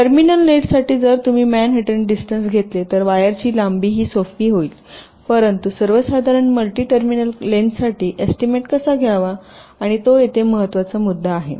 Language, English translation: Marathi, so if you take the manhattan distance, the wire length will be simple, this, but for a general multi terminal nets, how to estimate